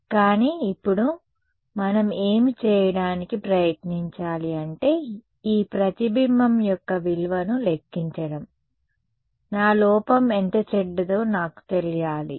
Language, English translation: Telugu, But, now what we should try to do is actually calculate what is a value of this reflection, I should know right how bad is my error